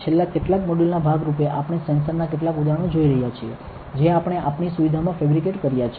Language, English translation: Gujarati, As part of the last few modules we are looking at sensors several examples of sensors that we have fabricated in our facility